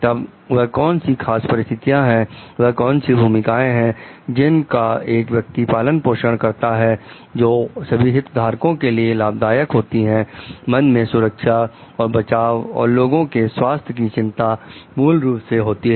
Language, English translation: Hindi, Then what are the in particular situation what styles that person can nurture, which is like beneficial for all the stakeholders; keeping in mind the safety, security of the health concerns, of the public at large